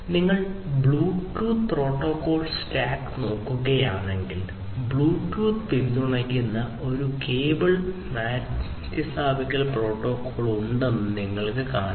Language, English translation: Malayalam, If you look at the Bluetooth stack, protocol stack, you will see that there is a cable replacement protocol that is supported by Bluetooth